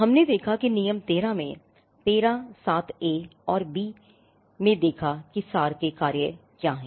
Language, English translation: Hindi, We saw that in rule 13, we had seen rule 13 and what are the functions of the abstract